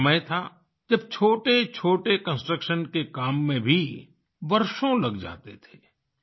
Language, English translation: Hindi, There was a time when it would take years to complete even a minor construction